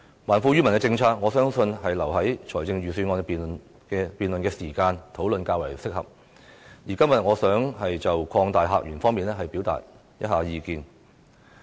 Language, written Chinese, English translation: Cantonese, 還富於民的政策，我相信留待預算案辯論的時間討論較為適合，而今天我想就擴大客源方面表達意見。, As regards the policy to return wealth to the people I believe it is more appropriate to discuss it later in the Budget debate . Today I wish to express views on opening up new visitor sources